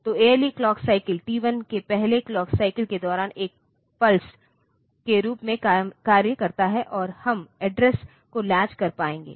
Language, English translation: Hindi, So, the ALE operates as a pulse during the clock cycle T 1 the first clock cycle, and we will be able to latch the address